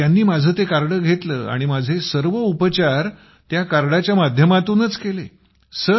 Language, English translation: Marathi, Then he took that card of mine and all my treatment has been done with that card